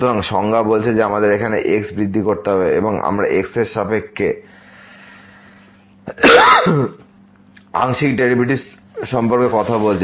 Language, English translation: Bengali, So, the definition says that we have to make an increment in x because we are talking about the partial derivative with respect to